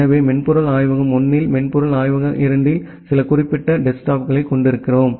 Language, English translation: Tamil, So, in software lab 1 we have certain set of desktop on software lab 2 we have another set of desktops